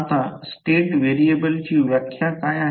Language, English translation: Marathi, Now, what is the definition of the state variable